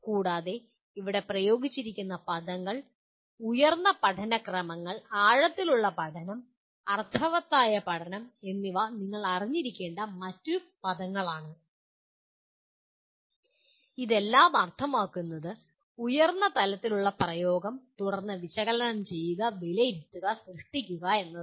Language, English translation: Malayalam, And this is another word that you have to be familiar with where there are words used, higher orders of learning, deep learning, meaningful learning; all this would mean higher level of Apply and then Analyze, Evaluate and Create